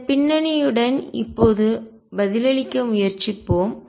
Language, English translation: Tamil, With this background let us now try to answer